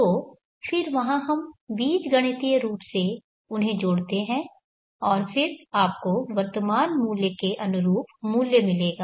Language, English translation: Hindi, So then there we algebraically add them and then you will get the equivalent value for the present work